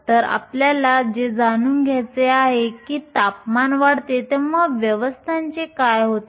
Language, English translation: Marathi, So, what we want to know is what happens to the system, has temperature increases